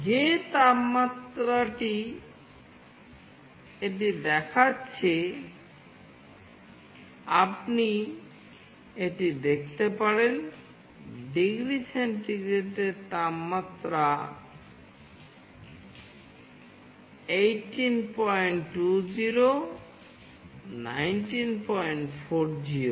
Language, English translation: Bengali, The temperature what it is showing, you can see this, the temperature in degree centigrade is 18